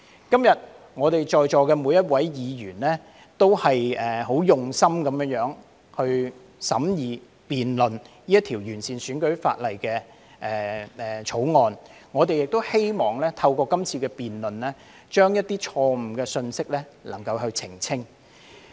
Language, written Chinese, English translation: Cantonese, 今天在席的每位議員很用心地審議和辯論這項旨在完善選舉法例的《條例草案》，我們亦希望透過今次辯論，能夠澄清一些錯誤的信息。, Today each and every Member in the Chamber is working very hard to scrutinize and debate this Bill which seeks to improve the electoral legislation . We also hope to clarify some wrong messages through this debate